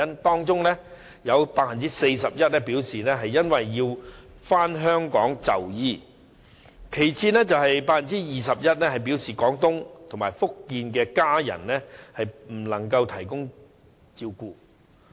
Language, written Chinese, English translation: Cantonese, 當中有 41% 表示要回港就醫，其次有 21% 表示廣東或福建的家人不能提供照顧。, Forty - one per cent of the respondents said that they returned to Hong Kong for medical treatment and 21 % indicated that their family members in Guangdong or Fujian were unable to take care of them